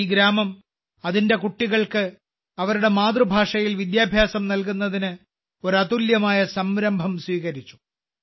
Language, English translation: Malayalam, This village has taken a unique initiative to provide education to its children in their mother tongue